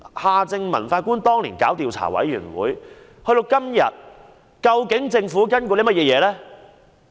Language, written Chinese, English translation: Cantonese, 夏正民法官當年提交調查委員會報告距今已逾4年，政府究竟有何跟進行動呢？, It has been more than four years since Mr Justice Michael John HARTMANN presented the report of the investigation panel what follow - up actions has the Government taken?